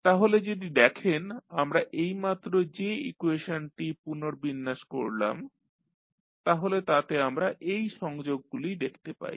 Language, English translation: Bengali, So, if you see the equation which we have just rearranged so what we can now see we can see the connections